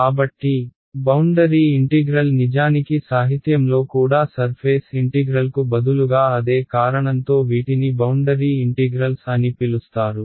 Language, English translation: Telugu, So, boundary integral actually also in the literature instead of surface integral you will find that the these are called boundary integrals for the same reason remain the same thing